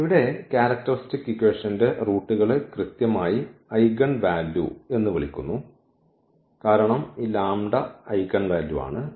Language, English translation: Malayalam, So, here the roots of this characteristic equation are exactly called the eigenvalues because this lambda is the eigenvalue